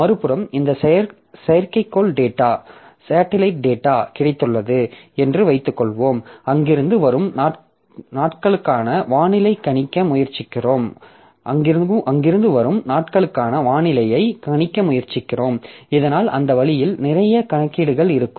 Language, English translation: Tamil, On the other hand, suppose we have got this satellite data and from there we are trying to predict the weather for the coming days